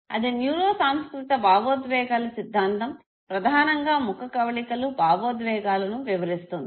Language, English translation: Telugu, But there is theory called neuro cultural theory of emotion which basically says that the facial expression of emotion